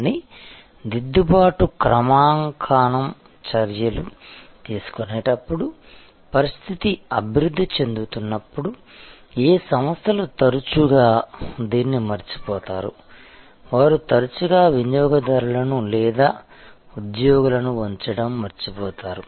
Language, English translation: Telugu, But, what organizations often forget to do that as situations evolve as they take corrective calibrating actions, they often forget to keep the customers or the employees involved